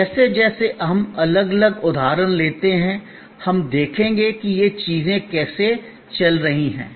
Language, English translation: Hindi, As we take different examples, we will see how these things are play out